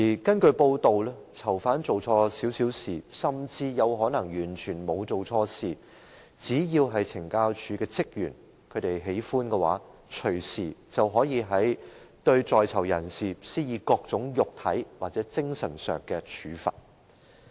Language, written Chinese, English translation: Cantonese, 根據報道，如果囚犯稍稍做錯事，甚或可能完全沒有做錯事，只要懲教署職員喜歡，便可以隨時對在囚人士施以各種肉體或精神上的處罰。, As reported if a prisoner commits a subtle mistake or perhaps even if he has committed no mistake at all officers of the Correctional Services Department CSD may impose any form of physical or mental punishment on the prisoner anytime they like